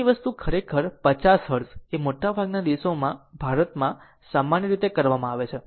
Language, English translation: Gujarati, Our thing actually 50 Hertz is commonly practice in India your most of the countries